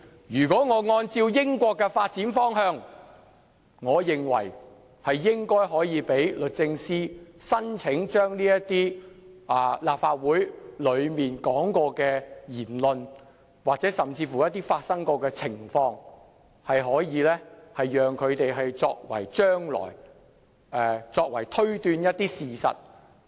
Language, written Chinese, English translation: Cantonese, 如果按照英國的發展方向，我認為應讓律政司申請在法庭上使用這些關乎曾在立法會發表的言論，甚或是曾發生的情況的文件，供用作推斷一些事實。, If we follow the United Kingdoms direction of development in dealing with these documents relating to words spoken or circumstances surrounding the Legislative Council I believe we should grant leave in response to DoJs application to produce such documents in evidence for inferring certain facts